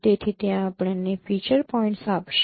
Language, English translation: Gujarati, So that would give us the feature points